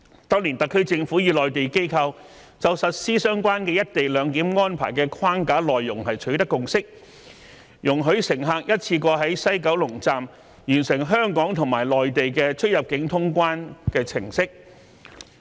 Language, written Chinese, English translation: Cantonese, 當年特區政府與內地機構就實施相關"一地兩檢"安排的框架內容取得共識，容許乘客一次過在西九龍站完成香港和內地的出入境通關程式。, At that time the SAR Government and the Mainland authorities had reached consensus on the implementation of the framework of the co - location arrangement which would allow passengers to go through both Hong Kong and the Mainland customs clearance formalities at the West Kowloon Terminus